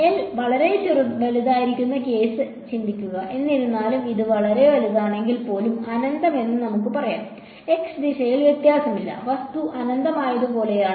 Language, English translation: Malayalam, Think of the case where L is very large; however, let us say even infinite if it is very large, then there is no variation along the x direction, it is like the object is infinite